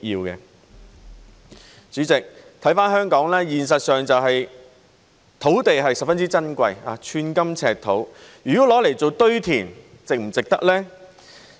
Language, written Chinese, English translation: Cantonese, 代理主席，看回香港，現實是土地十分珍貴，寸金尺土，如果用作堆填，值不值得呢？, Deputy President looking back on Hong Kong the reality is that land is most precious and scarce